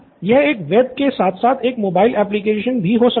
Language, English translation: Hindi, Yeah it could be a web as well as a mobile application